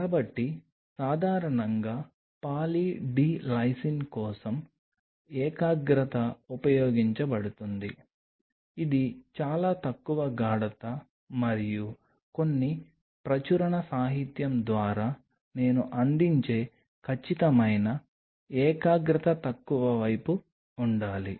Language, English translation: Telugu, So, the concentration is generally used for Poly D Lysine is fairly low concentration and the exact concentration I will provide through few publish literature it has to be on a lower side